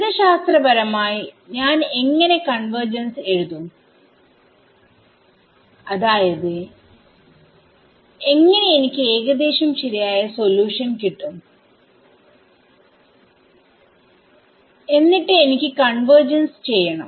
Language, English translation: Malayalam, Mathematically how will I write convergence under what conditions I mean how will I have an approximate solution and I wanted to convergence